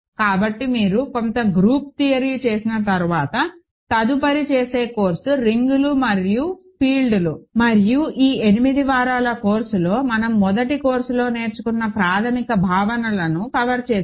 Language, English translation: Telugu, So, after you do some group theory, the next course that one does is rings and fields and in this 8 week course, we have covered essentially the basic notions that one learns in a first course